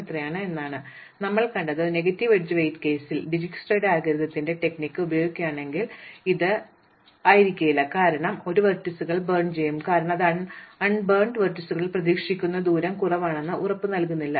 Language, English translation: Malayalam, So, what we have seen is that in negative edge weight case, what if we uses the strategy of Dijsktra's algorithm this may not be it, if we will burn a vertices just because it is shortest expected distance among the unburnt vertices does not guarantee that this is correct distances we might find later on a smaller distance